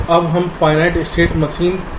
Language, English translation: Hindi, now let us come to finite state machines